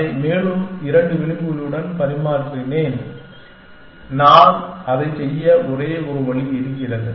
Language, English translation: Tamil, And replaced it with two more edges and there is only one way I can do that essentially